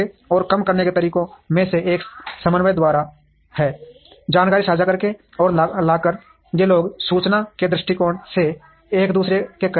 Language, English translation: Hindi, And one of the ways to reduce is by coordination, by sharing information and by bringing, these people closer to each other from an information point of view